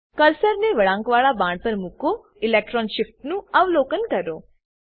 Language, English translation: Gujarati, Place the cursor on the curved arrow and observe the electron shift